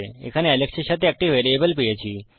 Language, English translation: Bengali, We have got a variable here with Alex